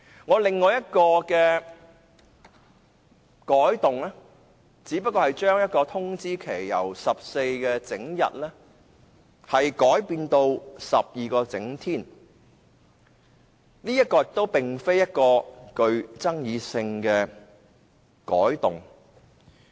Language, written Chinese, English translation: Cantonese, 我另一項修訂建議，只是將通知期由14整天改為12整天，這並不具爭議性。, Another amending motion of mine is to change the length of notice of a meeting from 14 clear days to 12 clear days which is not controversial